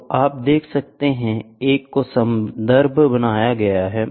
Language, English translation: Hindi, So, you can see a can be a reference